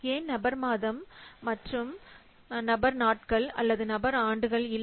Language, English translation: Tamil, So, why person month and not person days or person years